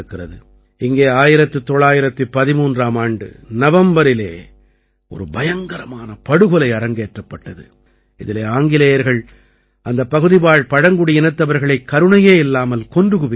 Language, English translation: Tamil, There was a terrible massacre here in November 1913, in which the British brutally murdered the local tribals